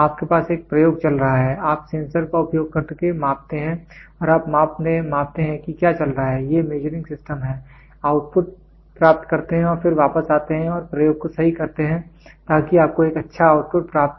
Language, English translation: Hindi, You have an experiment going on, you measure the using sensors you measure what is going on, these are measuring systems, get the output and then come back and correct the experiment such that you get a good output